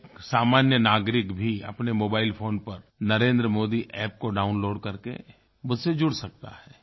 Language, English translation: Hindi, Even a common man can download the Narendra Modi App and get connected to me